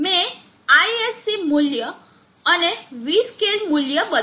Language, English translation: Gujarati, 1 I have not change the ISC value and the V scale value